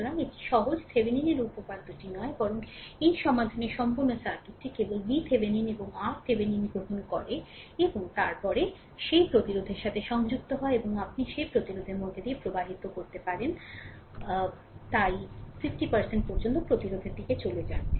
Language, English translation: Bengali, So, it is easy Thevenin’s theorem rather this solving full circuit only obtains V Thevenin and R Thevenin and then, connect that resistance across it and you will get that current flowing through the resistance so, up to 50 ohm resistance